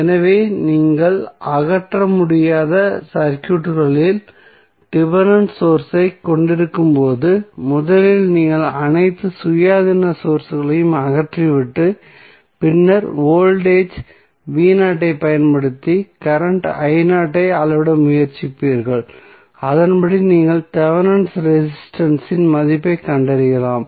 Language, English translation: Tamil, So, when you have dependent source available in the circuit which you cannot remove you will first remove all the independent sources and then apply voltage v naught and try to measure the current i naught and accordingly you can find out the value of Thevenin resistance